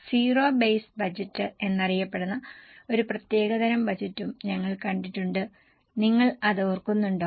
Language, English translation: Malayalam, We have also seen a specialized type of budget known as zero based budget